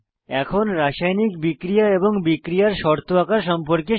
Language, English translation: Bengali, Now lets learn to draw chemical reactions and reaction conditions